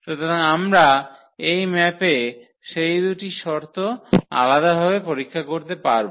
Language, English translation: Bengali, So, we can check those 2 conditions separately on this map